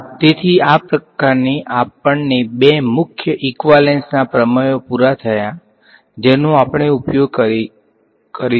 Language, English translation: Gujarati, So, this sort of brings us to an end of the two main equivalence principles that we use